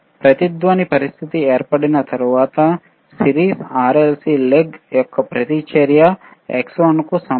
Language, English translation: Telugu, So, oOnce the resonant condition occurs when the resonance, reactance of series RLC leg are equal to xXl equals 2 xcXC alright